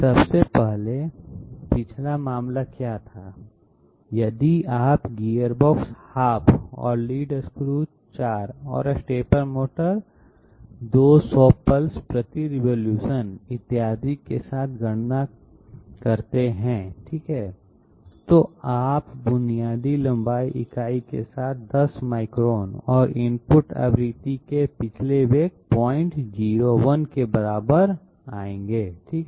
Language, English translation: Hindi, 1st of all what was the previous case, if you do the calculation okay with gearbox half and lead screw 4 and stepper motor 200 pulses per revolution, et cetera, you will come up with basic length unit equal to 10 millimeters and previous velocity equal to 0